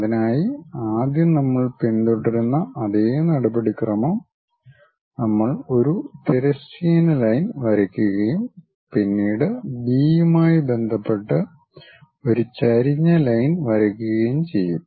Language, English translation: Malayalam, For that the same procedure we will follow first we will draw a horizontal line, then draw an incline line with respect to B we are rotating it